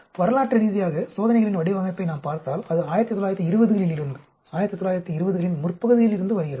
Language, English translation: Tamil, If we look at design of experiments historically, it has been there from 1920s, early 1920s